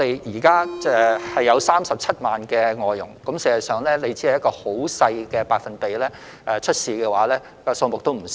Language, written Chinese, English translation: Cantonese, 香港現時有37萬名外傭，即使出現問題的個案所佔的百分比很少，實際數目也會不少。, At present there are 370 000 FDHs in Hong Kong . Even if the problematic cases account for a small percentage the actual number will not be small